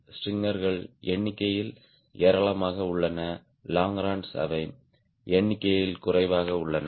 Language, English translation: Tamil, strangers are numerous in number, longerons they are lesser in number